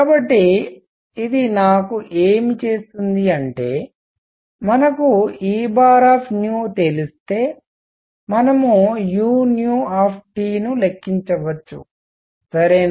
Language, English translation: Telugu, So, what this does for me is if we know E bar nu we can calculate u nu T all right